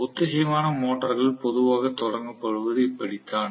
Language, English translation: Tamil, That is the way synchronous motor is generally started